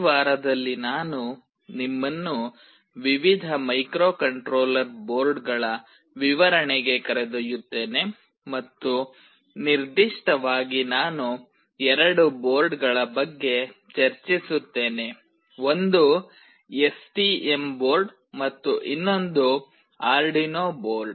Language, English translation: Kannada, In this week I will take you to a tour of various Microcontroller Boards and specifically I will be discussing about two boards; one is STM board and another is Arduino board